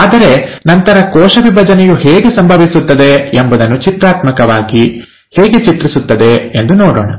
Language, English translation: Kannada, But then, so let me just look, pictorially also depict how the cell division happens